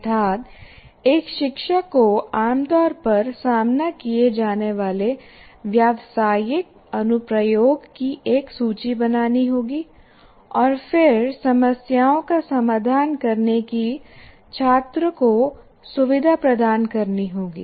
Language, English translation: Hindi, That means the teacher will have to make a list of this commonly encountered business applications and then make the student, rather facilitate the student to solve those problems